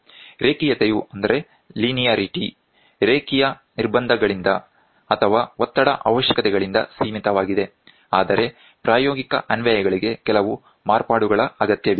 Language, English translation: Kannada, The linearity is limited by the linearity constraints or stress requirements; however, for practical applications, some modifications are required